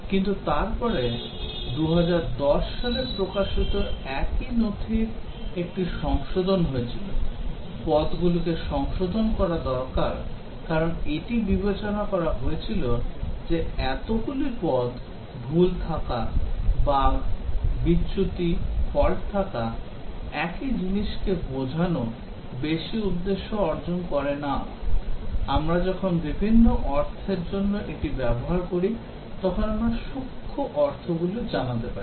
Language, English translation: Bengali, But then there was a revision of the same document released in 2010, the terms needed to be revised because it was considered that having so many terms error, bugs, defects, faults, denoting the same thing is not achieving much purpose, we can have finer meanings conveyed when we use these for different meanings